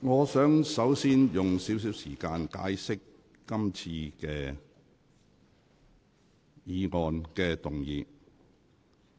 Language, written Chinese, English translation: Cantonese, 我想首先簡述今次議員修改《議事規則》的事宜。, Let me first recap the present proposal put forward by Members to amend RoP